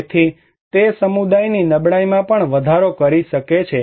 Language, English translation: Gujarati, So, it can also increase the vulnerability of that community